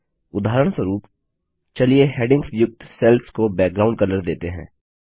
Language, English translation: Hindi, For example, let us give a background color to the cells containing the headings